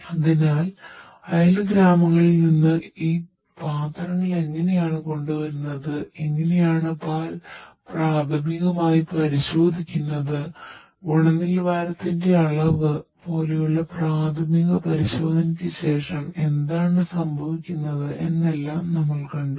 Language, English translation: Malayalam, So, we have seen that these containers you know how these containers are being brought from the neighbouring villages and then how the milk is basically tested initially and after the initial testing for quality quantity etc